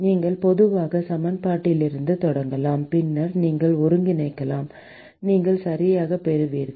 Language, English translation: Tamil, You can start from the generalized equation, and then you can integrate you will get exactly the same